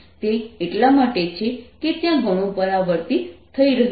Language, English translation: Gujarati, that's because there's a lot of reflection taking place